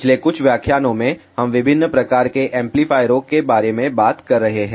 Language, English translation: Hindi, In the last few lectures, we have been talking about different types of amplifiers